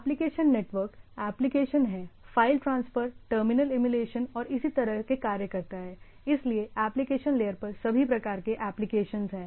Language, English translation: Hindi, Application is network applications are just file transfer, terminal emulation and so and so fort, so all type of application at the application layer